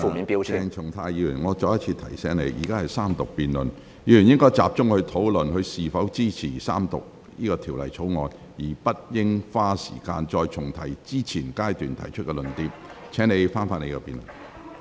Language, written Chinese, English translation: Cantonese, 鄭松泰議員，我再次提醒你，現在是三讀辯論，議員應集中討論是否支持三讀《條例草案》，而不應再花時間重提之前已曾提出的論點。, Dr CHENG Chung - tai I remind you once again that this is the Third Reading debate . Members should focus their discussion on whether they support the Third Reading of the Bill rather than wasting time on repeating previous arguments